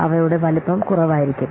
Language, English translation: Malayalam, Their size will be less